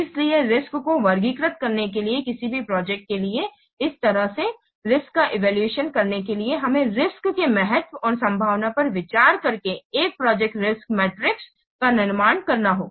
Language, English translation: Hindi, So in this way for any given project in order to classify the risks, in order to evaluate the risk, we have to construct a project matrix matrix by considering the importance of the risk and the possibility or the probability or the likelihood of the risk that they will occur